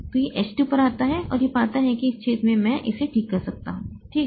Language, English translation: Hindi, So, it comes to H2 and finds that in this hole I can fit it